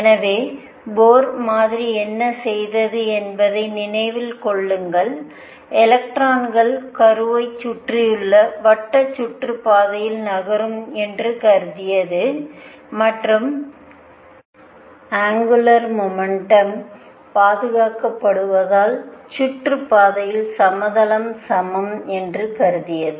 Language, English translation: Tamil, So, recall what the Bohr model did Bohr model did was that it considered electrons to move be moving in circular orbits around the nucleus and because angular momentum is conserved the plane of the orbit is the same